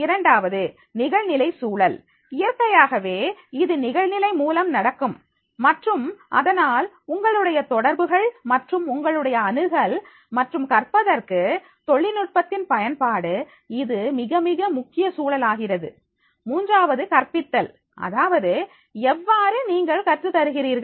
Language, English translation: Tamil, Second is online context, naturally, it will be through the online and therefore all your this connectivity and your access and to learn the use of technology that becomes a very, very important context, third is the pedagogy itself that is how do you teach